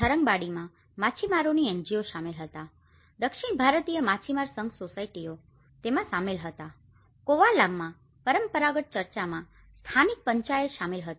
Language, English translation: Gujarati, In Tharangambadi the fishermen NGOs, South Indian fishermen federation societies they were involved in it, in Kovalam the traditional church the local Panchayat is involved